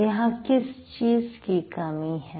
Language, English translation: Hindi, So, why, what is missing here